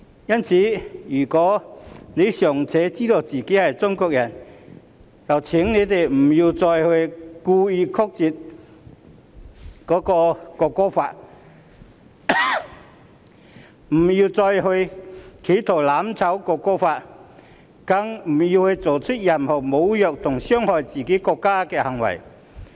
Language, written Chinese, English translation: Cantonese, 因此，若他們尚且知道自己是中國人，請別再故意扭曲《條例草案》、別再企圖"攬炒"《條例草案》，更別再作出任何侮辱和傷害自己國家的行為。, Therefore if they are still aware that they are Chinese please not to distort the Bill deliberately not to burn together with the Bill and not to commit any act to insult and harm their own country anymore . One ought to understand that only in a strong country will people be free from abuse